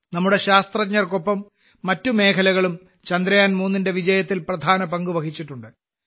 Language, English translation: Malayalam, Along with our scientists, other sectors have also played an important role in the success of Chandrayaan3